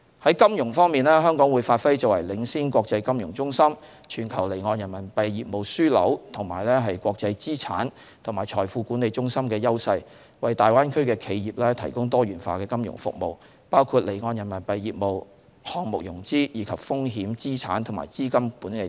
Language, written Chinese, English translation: Cantonese, 在金融方面，香港會發揮作為領先國際金融中心、全球離岸人民幣業務樞紐和國際資產及財富管理中心的優勢，為大灣區的企業提供多元化的金融服務，包括離岸人民幣業務、項目融資，以及風險、資產及資金管理等。, As regards financial services Hong Kong will capitalize on our advantages as the leading international financial centre global offshore renminbi business hub as well as international asset and financial management centre . It will provide the enterprises in the Greater Bay Area with diversified financial services including offshore renminbi business project financing as well as risk asset and fund management